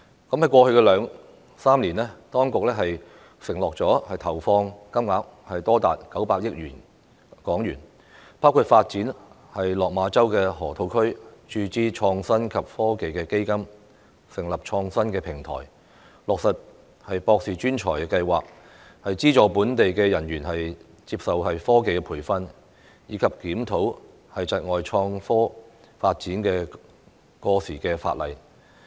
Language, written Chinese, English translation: Cantonese, 在過去兩三年，當局承諾投放金額多達900億港元，包括發展落馬洲河套區、注資創科及科技基金、成立創新平台、落實"博士專才庫"、資助本地人員接受科技培訓，以及檢討窒礙創科發展的過時法例。, The investments undertaken by the authorities in the past couple of years have amounted to HK90 billion including the development of the Lok Ma Chau Loop the injection of funds into the Innovation and Technology Fund the establishment of research clusters the launch of the Postdoctoral Hub Programme the provision of subsidies to local employees for receiving training in technology and the review on the outdated legislation which hinders IT development